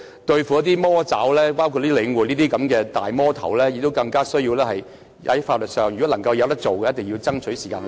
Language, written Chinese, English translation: Cantonese, 對付"魔爪"或好像領展這種"大魔頭"，更需要採取法律途徑，如果能夠做到，便一定要爭取時間去做。, To deal with evil clutches or monsters like Link REIT we need all the more to resort to legal proceedings . If it is workable we must lose no time in doing so